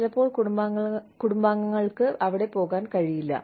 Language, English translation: Malayalam, Sometimes, families may not be able to go there